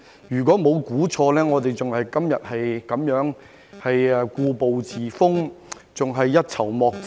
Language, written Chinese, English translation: Cantonese, 如果沒有猜錯，我們今天仍然故步自封，仍然一籌莫展。, If I am not wrong we are still stuck in the same rut today running out of options